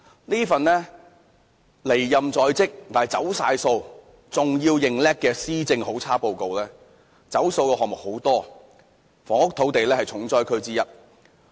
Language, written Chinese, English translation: Cantonese, 這份離任在即，既"走數"又"認叻"的"施政好差報告"，"走數"的項目有很多，房屋、土地是其中一個重災區。, This swansong Policy Address is a very bad address which is full of broken promises and is taking credit of other people . There are many broken promises and one of the hard hit areas is housing and land